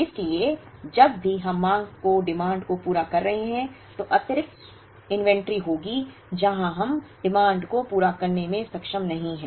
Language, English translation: Hindi, So, whenever we are meeting the demand there will be excess inventory, where we are not able to meet the demand